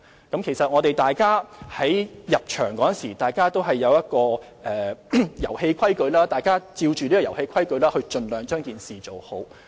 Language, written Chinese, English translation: Cantonese, 營運者在進場時，都知道遊戲規則，大家便按着這套遊戲規則盡量做好。, The operators understood the rules of the game when they entered the market and they would try their best to perform well within the set of rules